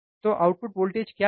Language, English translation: Hindi, So, what is output voltage let us see